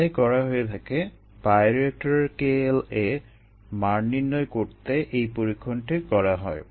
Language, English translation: Bengali, that is the experiment that is performed to find k l a of the bioreactor